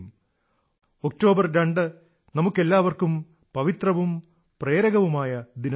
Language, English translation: Malayalam, 2nd of October is an auspicious and inspirational day for all of us